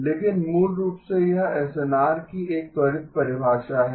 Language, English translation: Hindi, But basically this is a quick definition of the SNR